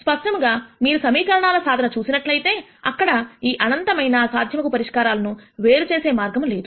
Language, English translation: Telugu, Clearly if you are looking at only solvability of the equation, there is no way to distinguish between this infinite possible solutions